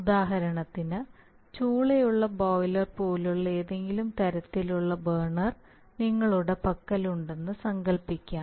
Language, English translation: Malayalam, For example, let us say if you have a any kind of burner, let us say a boiler, so boiler has a furnace